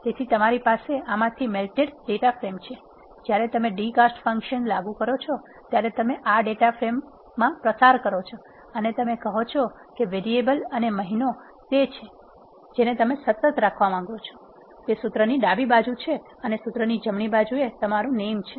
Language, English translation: Gujarati, So, you have this melted data frame from this, when you apply d cast function you pass in this data frame and you say variable and month are the ones, which you want to have it as constant, that are the left side of the formula and in the to the right of the formula you have name